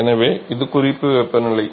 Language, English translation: Tamil, So, that is the reference temperature